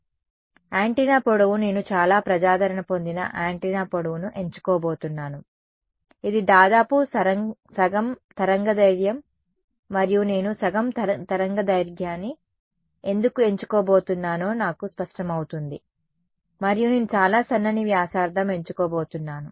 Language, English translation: Telugu, So, what I am and the antenna length I am going to choose a very popular antenna length, which is roughly half a wavelength and I will become clear why I am going to choose half a wavelength, and I am going to choose a very thin radius